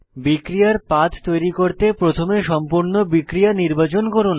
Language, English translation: Bengali, To create a reaction pathway, first select the complete reaction